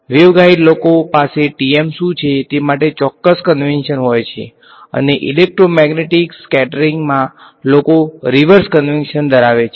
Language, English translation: Gujarati, The wave guide people have a certain convention for what is TM and people in electromagnetic scattering they have the reverse convention